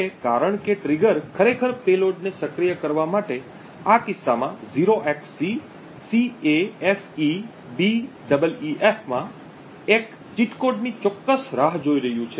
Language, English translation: Gujarati, Now since the trigger is waiting precisely for one cheat code in this case 0xcCAFEBEEF to actually activate the payload